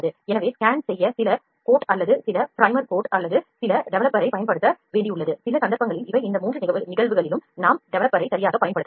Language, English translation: Tamil, So, these are certain cases where we need to apply some coat or some primer coat or some developer to scan, in all these 3 cases we can apply developer right